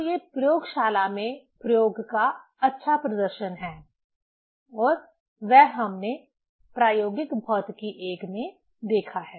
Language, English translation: Hindi, So, these are the nice demonstration of the experiment in the laboratory and that we have seen in the experimental physics I course